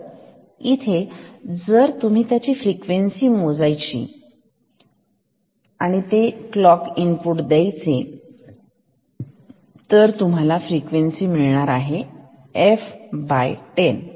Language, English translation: Marathi, So, here if you give a clock input whose frequency is if the output will be f by 10